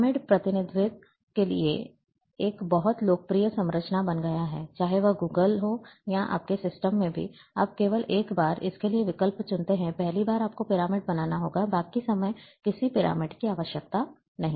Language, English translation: Hindi, So, the pyramid has become very popular structure for representation, whether it is Google earth, or in your systems also, you can opt for this only once, first time you have to create pyramids, rest of the time, no pyramids are required